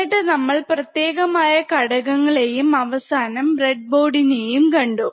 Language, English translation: Malayalam, Then we have seen some discrete components and finally, we have seen a breadboard